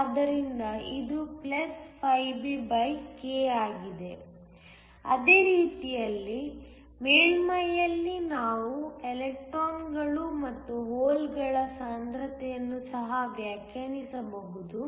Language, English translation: Kannada, So, it is +φB/k; same way, at the surface we can also define a concentration of electrons and holes